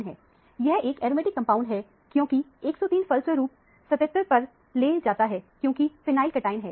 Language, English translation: Hindi, It is an aromatic compound, because the 103 leads to 77, which is a phenyl cation